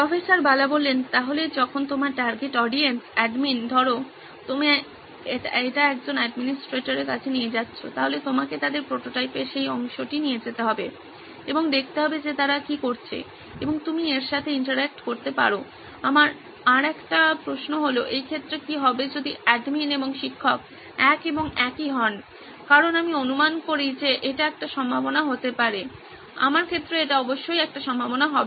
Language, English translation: Bengali, So when you going your target audience is admin, say suppose you are taking it to an administrator then you will need to take them that part of prototype and see what is it that they are doing and you can interact with that, another question I had in this regard is what if the admin and the teacher are one and the same because I envisage that could be a possibility, in my case it would definitely be a possibility